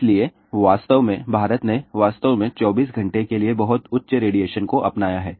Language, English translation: Hindi, So, really speaking, India has really adopted a very very high radiation for 24 hour exposure